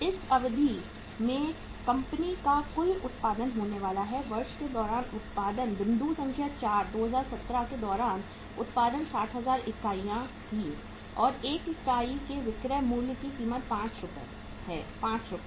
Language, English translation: Hindi, The total production the company is going to have in this period is that is production during the year, point number 4, production during 2017 was 60,000 units and what is the say uh cost of selling price of 1 unit is 5, Rs